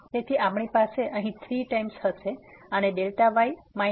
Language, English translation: Gujarati, So, we will have here 3 times and the delta minus